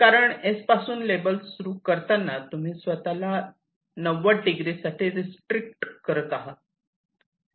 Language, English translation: Marathi, because when you start with s, you are in a corner, you are only restricting yourself to these ninety degree